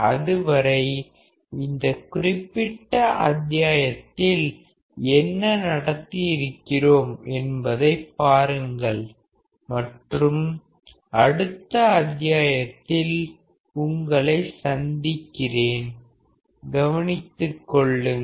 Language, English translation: Tamil, Till then you just look at what has being taught in this particular module and I will see you in the next module bye take care